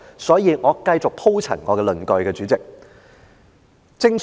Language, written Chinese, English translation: Cantonese, 所以，我繼續鋪陳我的論據，主席。, For that reason I will continue to elaborate on my arguments President